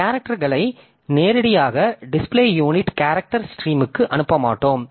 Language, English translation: Tamil, So, we will not send directly the characters to character stream to the basic display unit